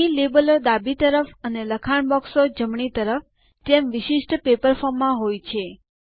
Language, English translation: Gujarati, Here the labels are to the left and the text boxes on the right, just like a typical paper form